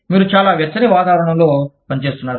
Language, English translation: Telugu, You are functioning in a very warm climate